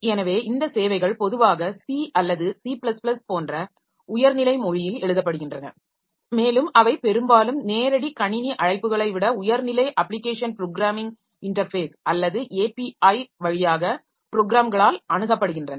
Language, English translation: Tamil, So, these services they are typically written in a high level language like C or C++ and they are mostly accessed by programs via a high level application programming interface or API rather than direct system calls